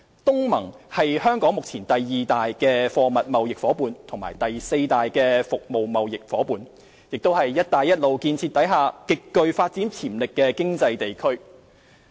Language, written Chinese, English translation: Cantonese, 東南亞國家聯盟是香港目前第二大貨物貿易夥伴和第四大服務業貿易夥伴，亦是"一帶一路"建設下極具發展潛力的經濟地區。, The Association of Southeast Asian Nations ASEAN currently Hong Kongs second largest trading partner in goods and fourth largest in services is an economic region with significant development potential under the Belt and Road Initiative